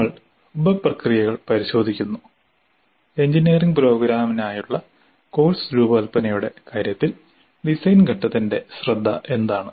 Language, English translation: Malayalam, We look into the sub processes, what is the focus of the design phase in terms of course design for an engineering program